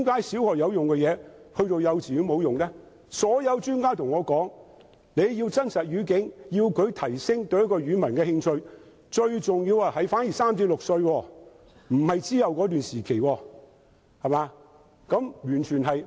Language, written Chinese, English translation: Cantonese, 所有專家均對我說，如要提供真實語境，以提升學生對某一種語文的興趣，最重要的時間是在他們3至6歲時，而不是較後的時期。, All the experts have told me that to provide a live language environment to arouse students interest in a certain language the most crucial period is when they are aged three to six rather than a later stage